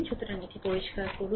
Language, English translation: Bengali, So, let clear it right